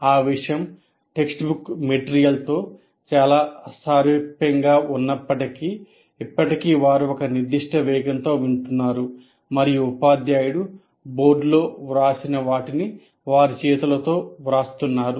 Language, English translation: Telugu, Though that material may be very similar to the textbook material, but still you are listening at a particular pace and writing in your own hands what the teacher has written on the board